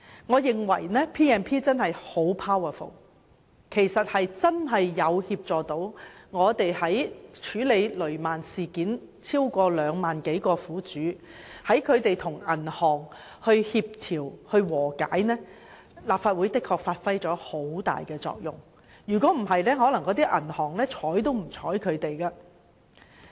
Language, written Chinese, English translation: Cantonese, 我認為《條例》權力很大，真的有助我們處理雷曼事件；在協助超過2萬名雷曼苦主與銀行達成和解方面，立法會的確發揮了很大作用，否則銀行可能會對他們置之不理。, I think the extensive powers vested on us by the Ordinance had enabled us to handle the Lehman Brothers incident . The Legislative Council played a significant role in helping 200 000 victims make a settlement with the banks; otherwise the banks might just ignored these victims